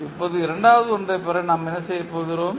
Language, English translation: Tamil, Now, to obtain the second one what we do